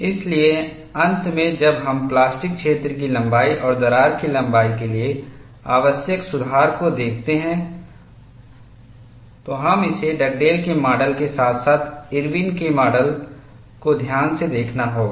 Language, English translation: Hindi, So, finally, when we look at the plastic zone length and there correction necessary for crack length, we have to handle it carefully in Dugdale’s model as well as Irwin’s model, there is a subtle difference between the two